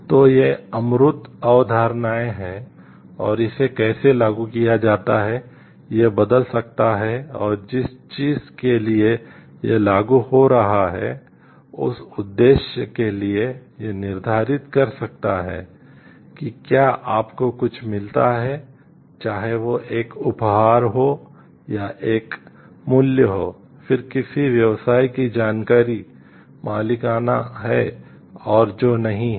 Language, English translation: Hindi, So, these are abstract concepts and how it gets a applied may change and for the purpose for what it is getting applied may determine, whether if you get something whether it is a gift or it is a bribe, then which information of a business is proprietary and which is not